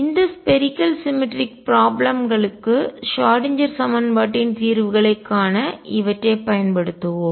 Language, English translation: Tamil, We will use these to find the solutions of Schrodinger equation for these spherically symmetric problems